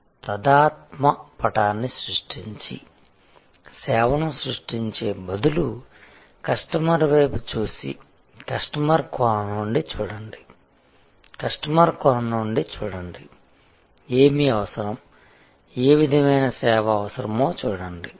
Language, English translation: Telugu, So, create an empathy map and so instead of creating a service and then, looking at the customer, look from customer perspective, so look from customers perspective, what is needed, what sort of service is needed